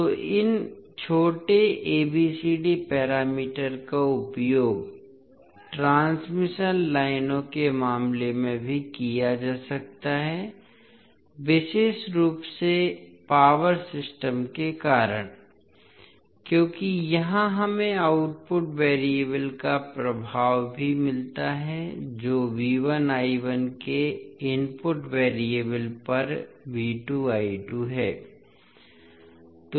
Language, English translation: Hindi, So these small abcd parameters can also be utilised in case of the transmission lines particularly the power systems because here also we get the impact of output variables that is V 2 I 2 on the input variables that is V 1 I 1